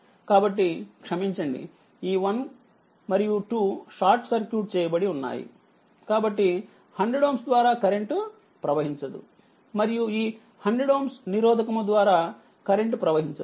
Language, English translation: Telugu, So, ah sorry this ah, sorry this ah this 1 2 is shorted, so there will be no current to 100 ohm, and no current through this 100 ohm resistance